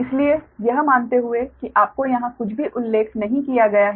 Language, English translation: Hindi, so so, assuming you have to, here nothing has been mentioned